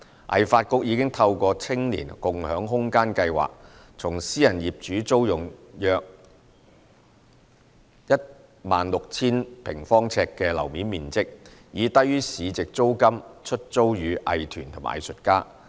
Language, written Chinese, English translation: Cantonese, 藝發局已透過"青年共享空間計劃"，從私人業主租用約 16,000 平方呎的樓面面積，以低於市值租金出租予藝團和藝術家。, Under the Space Sharing Scheme for Youth SSSY HKADC has rented about 16 000 sq ft of floor area from private property owners to be leased to arts groups and artists at below market rent